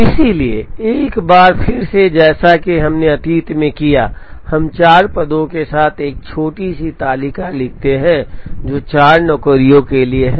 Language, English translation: Hindi, So, once again as we have done in the past, we write a small table with 4 positions, which are for the 4 jobs